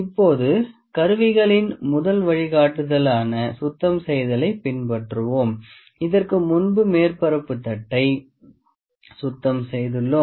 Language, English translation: Tamil, Now, we will follow the first guideline cleaning of the instruments actually, we have cleaned the surface plate before